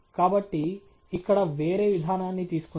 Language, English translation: Telugu, So, let’s take a different approach here